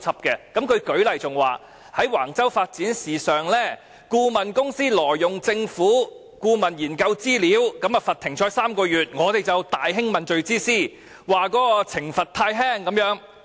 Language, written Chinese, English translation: Cantonese, 他更舉例說在橫洲發展的事宜上，顧問公司挪用政府的研究資料，被罰"停賽 "3 個月，我們就大興問罪之師，指懲罰太輕。, He further illustrated that in the case of the Wang Chau development when the consultancy was banned from participating in government tenders for three months as penalty for it using the Governments research information without authorization we voiced a scathing outcry that the penalty was too lenient